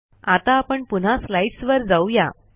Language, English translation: Marathi, Let me go back to the slides